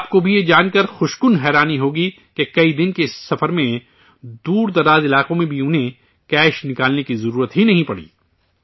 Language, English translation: Urdu, You will also be pleasantly surprised to know that in this journey of spanning several days, they did not need to withdraw cash even in remote areas